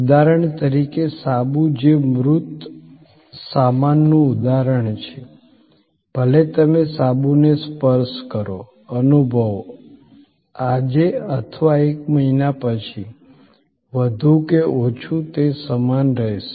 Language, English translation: Gujarati, For example a soap, which is an example of a tangible goods, whether you touch, feel, experience the soap, today or a month later, more or less, it will remain the same